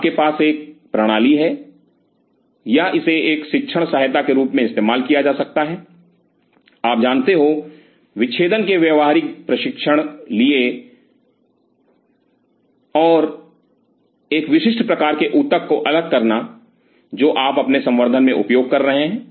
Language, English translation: Hindi, So, you have a system or this could be used as a teaching aid for you know practical training of dissection and isolation of a specific kind of tissue, what you will be using in your culture right